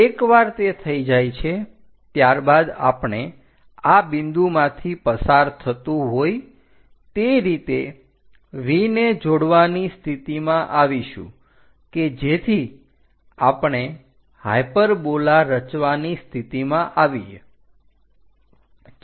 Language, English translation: Gujarati, Once it is done, we will be in a position to join V all the way passing through this point, so that a hyperbola we will be in a position to construct